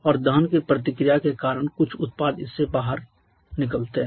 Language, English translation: Hindi, And because of the combustion reaction some product comes out of this